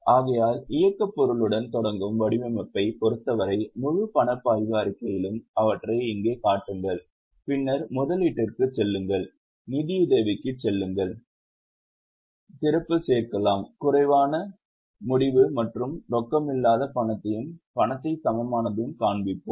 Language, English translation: Tamil, So, for the whole cash flow statement as for the format, start with operating items, show them here, then go for investing, go for financing, add opening, less closing and also show the reconciliation of cash and cash equivalent